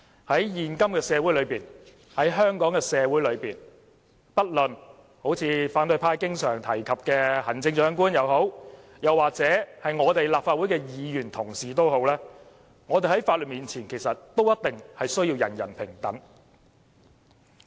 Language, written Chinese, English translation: Cantonese, 在現今的香港社會，不論是反對派經常提到的行政長官，抑或是立法會的議員同事，我們在法律面前也必定要人人平等。, In modern Hong Kong society we are all absolutely equal before the law regardless of the person concerned being the Chief Executive frequently mentioned by the opposition or a Member of the Council